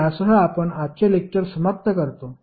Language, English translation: Marathi, So, with this we can conclude the today’s session